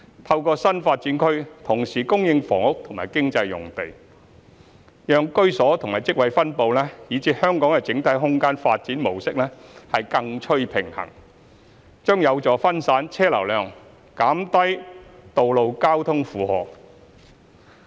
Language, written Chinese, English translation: Cantonese, 透過新發展區同時供應房屋和經濟用地，讓居所與職位分布以至香港的整體空間發展模式更趨平衡，將有助分散車流量，減低道路交通負荷。, With the provision of both housing and economic sites in new development areas the distribution of housing and jobs and the overall spatial development pattern of Hong Kong will be more balanced which will help spread out the traffic flow and alleviate the traffic load on roads